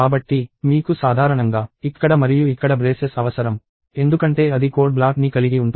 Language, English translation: Telugu, So, you need braces here and here typically, because that makes a code block